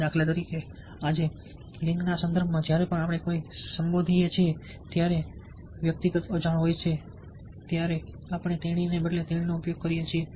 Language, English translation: Gujarati, for instance, today, in the context of gender, whenever we address somebody, we use she instead of he when the person is unknown